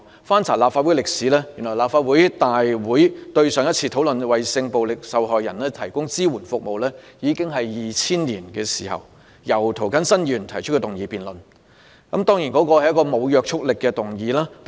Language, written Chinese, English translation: Cantonese, 翻查立法會歷史，原來立法會上一次在會議上討論為性暴力受害人提供支援服務，已經是2000年的事，當時是由涂謹申議員動議一項沒有約束力的議案辯論。, If we look back on the history of the Legislative Council we will know that the issue of providing support services to sexual violence victims was last discussed at a Council meeting in 2000 when a motion with no binding effect was moved by Mr James TO in this respect